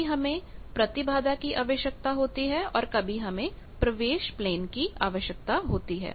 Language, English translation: Hindi, Sometimes we need to have impedance; sometimes we need have to stay in the admittance plane